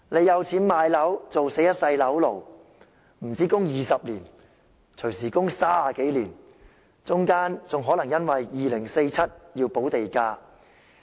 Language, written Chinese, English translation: Cantonese, 有錢買樓的人，也要做一世"樓奴"，供款不單要20年，動輒要30年，到了2047年還可能要補地價。, People who have money to purchase properties will become lifelong property slaves . They have to service their mortgages for not just 20 years but easily 30 years and they may need to pay land premium in 2047